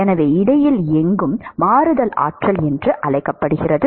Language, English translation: Tamil, So, anywhere in between is called transition regime